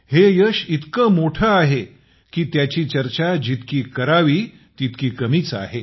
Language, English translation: Marathi, This success is so grand that any amount of discussion about it would be inadequate